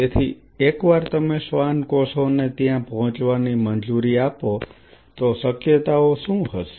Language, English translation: Gujarati, So, once you allow the Schwann cells to get there what are the possibilities